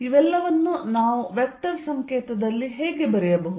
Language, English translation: Kannada, How can we write all these in vector notation